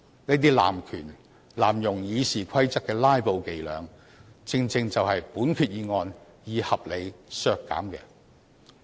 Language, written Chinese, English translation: Cantonese, 這些濫權、濫用《議事規則》的"拉布"伎倆，正正就是本決議案希望可以合理地消除。, Such filibustering tactics based on abuse of power and abuse of the Rules of Procedure are precisely what this resolution seeks to reasonably eliminate